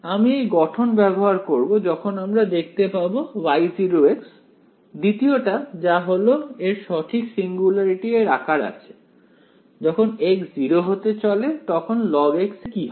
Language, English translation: Bengali, I will use this form when you can see that the second this Y 0 you cans see that it has the correct singularity kind of a shape right, as x tends to 0 what happens to log of x